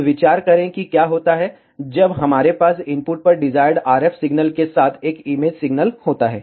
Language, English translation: Hindi, Now, let us consider what happens, when we have an image signal along with the desired RF signal at the input